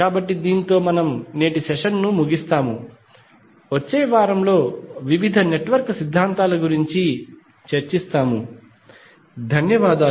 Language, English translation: Telugu, So, with this we will close today’s session, in next week we will discuss about the various network theorems, thank you